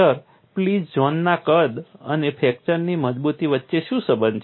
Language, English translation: Gujarati, Sir what is the relation between plastic zone size and the fracture toughness